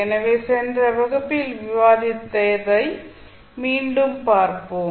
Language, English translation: Tamil, So, let us recap what we were discussing in the last class